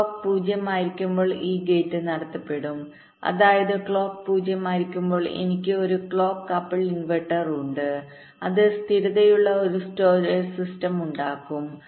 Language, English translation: Malayalam, when clock will be zero, then this gate will be conducting, which means when clock is zero, i have a cross couple inverter with feedback that will constitute a stable storage system